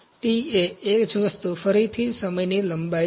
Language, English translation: Gujarati, T is length of time again the same thing